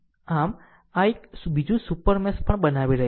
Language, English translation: Gujarati, So, this is also creating another super mesh